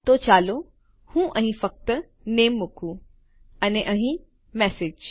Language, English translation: Gujarati, So let me just put Name: in here and Message: in here